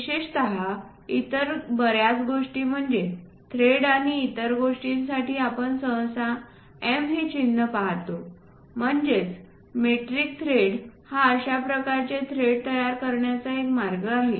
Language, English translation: Marathi, Many other things like typically for threads and other things, we usually see these symbols M; that means, metric thread one way of creating these threads